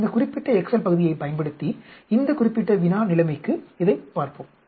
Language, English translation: Tamil, Let us look at it for this particular problem situation, using this particular excel piece